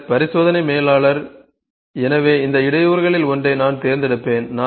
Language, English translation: Tamil, Then experiment manager; so, I will pick one of these bottleneck